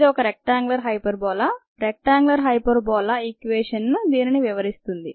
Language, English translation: Telugu, this is a rectangular hyperbola, so rectangular hyperbola equation would describe this appropriately